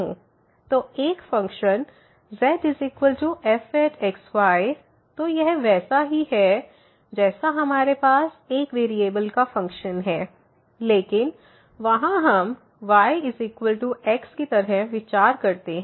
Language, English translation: Hindi, So, a function is equal to so its a similar to what we have the function of one variable, but there we consider like y is equal to function of x